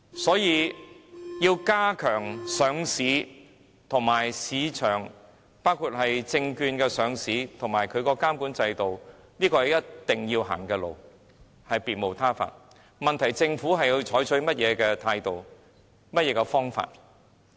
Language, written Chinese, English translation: Cantonese, 所以，要加強監管上市和市場，包括改善證券上市的監管制度，是一定要走的路，別無他法，問題的癥結在於政府採取甚麼態度、甚麼方法。, For that reason stepping up the regulation of listed companies and the market including the enhancement of the governance structure for listing regulation is the path we must take . The crux of the problem lies in the attitude and methods adopted by the Government